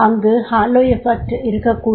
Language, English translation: Tamil, It can be a hello effect